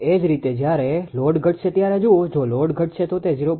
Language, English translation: Gujarati, Similarly, look while load decreases when load decreases, if load decreases that is 0